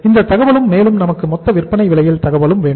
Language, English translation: Tamil, So this information and then the total selling price